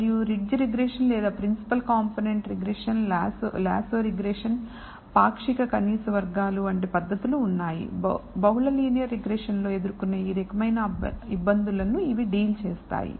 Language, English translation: Telugu, And those have to be attacked differently and there are techniques such as ridge regression or principal component regression, lasso regression, partial least squares and so on so forth, which deals with these kinds of difficulties that you might encounter in multi linear regression